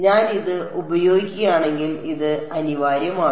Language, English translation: Malayalam, This is inevitable if I use this